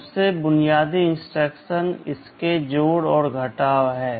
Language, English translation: Hindi, The most basic instructions are addition and subtraction